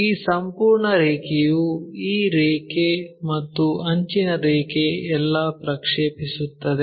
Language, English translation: Kannada, This entire line this line the edge line all the time maps